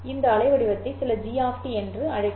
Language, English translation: Tamil, Call this waveform as some G of T